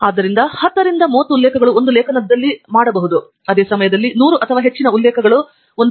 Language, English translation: Kannada, So, from 10 to 30 references may be made in an article, while about 100 or more references will be made in a thesis